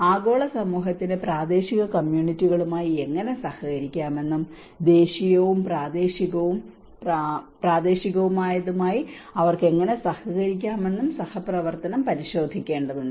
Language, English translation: Malayalam, Collaboration also has to look at how the global community can collaborate with the local communities and how they can cooperate with the national and regional and local